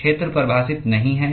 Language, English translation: Hindi, Area is not defined